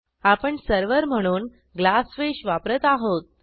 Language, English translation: Marathi, We are using Glassfish as our server